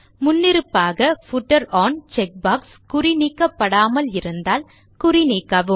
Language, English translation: Tamil, Uncheck the Footer on checkbox if it is not unchecked by default